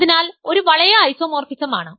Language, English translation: Malayalam, So, we can ask for this isomorphism